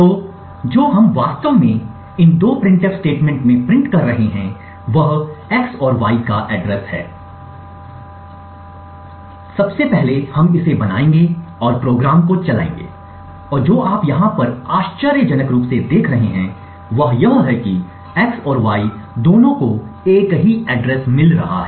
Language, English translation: Hindi, So what we are actually printing in these two printf statements is the address of x and y, as before we will make clean and make it and run the program and what you see over here surprisingly is that both x and y get the same address